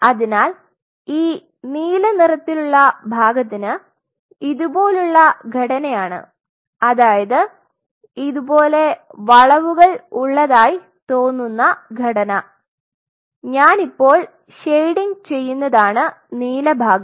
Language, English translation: Malayalam, So, it seems that the blue part is as if on the top it is the same structure like this its curves like this and this is the blue part the one which I am shading now